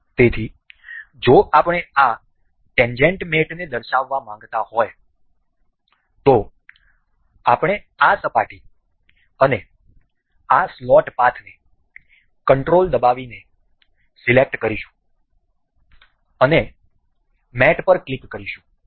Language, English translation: Gujarati, So, if we want to demonstrate this tangent mate we will select this surface and this slot path holding the control and click on mate